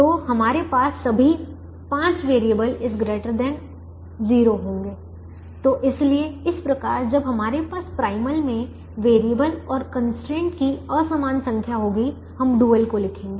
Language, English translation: Hindi, so this is how we will write the dual when we have unequal number of variables and constraints in the primal